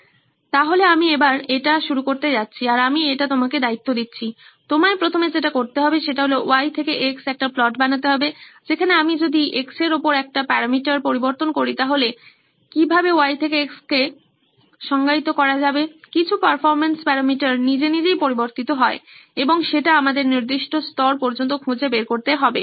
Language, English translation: Bengali, So we are going to start here, I am going to hand it off to you, you will have to first of all, build a Y to X plot, which is, if I change a parameter on the X, which is how a Y to X is defined, some performance parameter changes on its own and that’s we need to figure out for your particular level